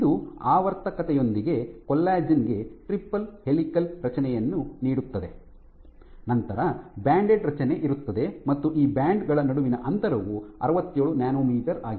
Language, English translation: Kannada, This gives you a triple helical structure with the periodicity, you have these banded structure the spacing between these bands is 67 nanometers